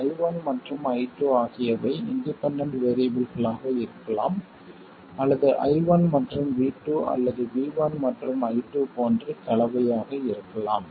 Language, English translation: Tamil, I1 and I2 can be a mixture, I1 and V2 or V1 and I2